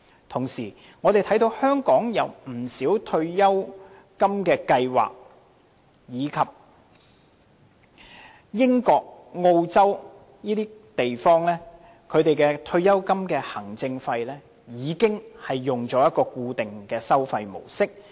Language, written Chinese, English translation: Cantonese, 同時，我們看到香港有不少退休金計劃及英國、澳洲等地的退休金行政費已採用固定收費模式。, Meanwhile the approach of fixed charges is adopted by many retirement schemes in Hong Kong . The practice of fixed charges collected by retirement funds as administration fees is also implemented in countries such as the United Kingdom and Australia